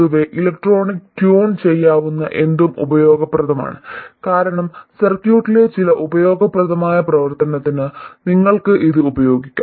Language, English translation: Malayalam, In general, anything that is electronically tunable is useful because you can use it for some useful function in the circuit